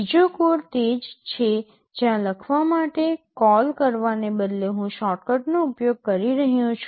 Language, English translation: Gujarati, The second code is the same one where instead of calling write I am using the shortcut